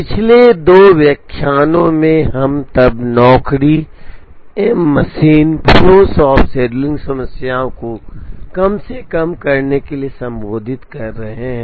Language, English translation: Hindi, In the last two lectures we have been addressing the n job, m machine, flow shop scheduling problem to minimize make span